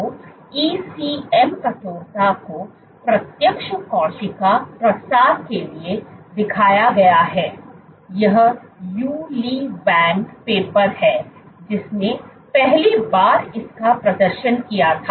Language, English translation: Hindi, So, ECM stiffness has been shown to direct cell spreading, this is the Yu Li Wang paper who first demonstrated it